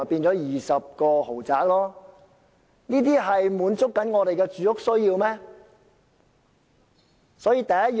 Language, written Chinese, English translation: Cantonese, 這些豪宅能滿足市民的住屋需要嗎？, Will these luxury apartments meet the housing needs of the public?